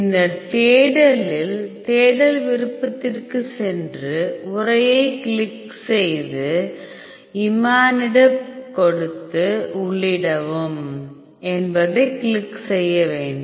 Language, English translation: Tamil, In search go to search option and then click on text and then give the imatinib and then click enter